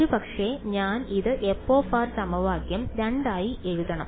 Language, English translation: Malayalam, So, maybe I should let me just write it like this f of r into equation 2